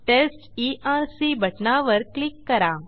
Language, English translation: Marathi, Click on Test Erc button